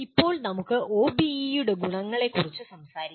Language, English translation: Malayalam, Now, let us talk about advantages of OBE